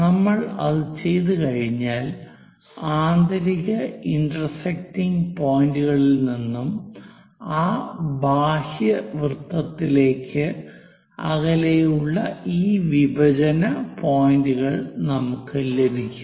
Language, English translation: Malayalam, Once we are doing after that, we have these intersection points which are away from the inner circle and into that outer circle